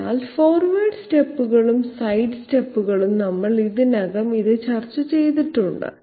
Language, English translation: Malayalam, So forward steps and side steps, we have already discussed this